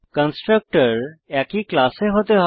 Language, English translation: Bengali, The constructors must be in the same class